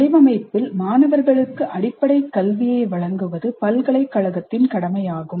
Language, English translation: Tamil, It is the university's obligation to give students fundamental education in design